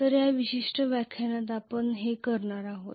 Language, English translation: Marathi, So this is what we are going to cover in this particular lecture